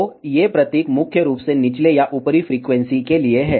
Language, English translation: Hindi, So, these symbols are mainly for the lower or upper frequencies